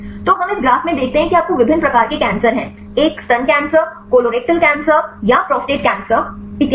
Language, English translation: Hindi, So, we see in this graph you have the different types of cancers; a breast cancer, colorectal cancer or the prostate cancer and so on